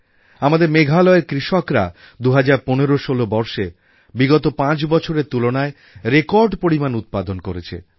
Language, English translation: Bengali, Our farmers in Meghalaya, in the year 201516, achieved record production as compared to the last five years